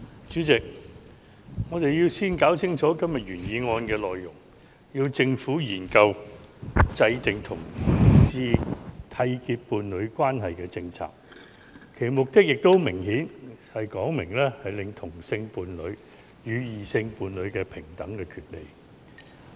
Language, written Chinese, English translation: Cantonese, 主席，我們先要弄清楚今天原議案的內容，是"促請政府研究制訂讓同志締結伴侶關係的政策"；其目的也很明顯，是希望"令同性伴侶得享與異性伴侶平等的權利"。, President first of all we should figure out the content of todays original motion . The title is Urge the Government to Study the formulation of policies for homosexual couples to enter into a union . Its objective is quite straightforward that is to enable homosexual couples to enjoy equal rights as heterosexual couples